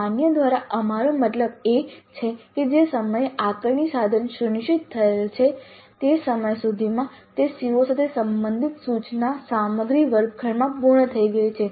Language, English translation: Gujarati, By valid what we mean is that the time at which the assessment instrument is scheduled by the time the instructional material related to the COO has been completed in the classroom